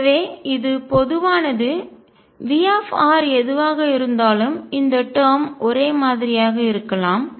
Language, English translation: Tamil, So, this is common V r could be anything this term would be the same